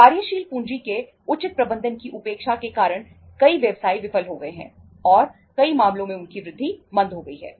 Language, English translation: Hindi, Neglecting the proper management of working capital has caused many businesses to fail and in many cases has retarded their growth